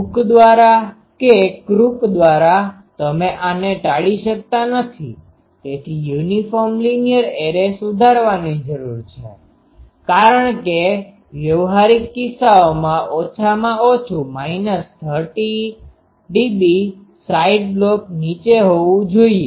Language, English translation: Gujarati, By hook by crook you cannot avoid these, so uniform linear arrays need to be improved, because in practical cases at least minus 30 dB the side lobe should be down